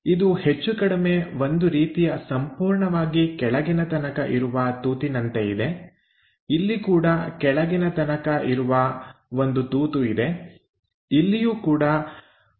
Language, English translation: Kannada, So, it is more like there is a hole passing all the way down, here also there is a hole all the way passing down, here also there is a hole which is passing all the way down